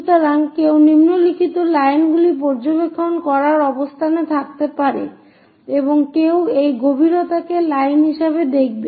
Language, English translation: Bengali, So, one might be in a position to observe the following lines and one will be seeing this depth as lines